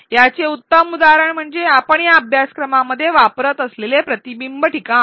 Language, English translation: Marathi, A good example of this is the reflection spot that we use in this very course